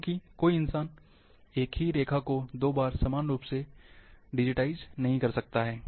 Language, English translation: Hindi, Because no human can digitize, the same line twice identically